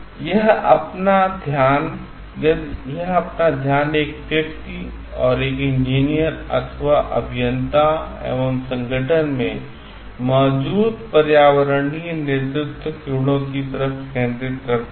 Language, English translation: Hindi, It focuses towards the at like environmental leadership qualities present in an individual and an engineer or the organisation as such